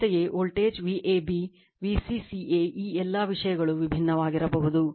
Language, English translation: Kannada, Similarly, supply voltage your V ab V c c a right all these things may be different